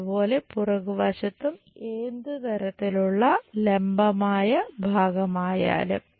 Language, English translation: Malayalam, Similarly on back side whatever that vertical part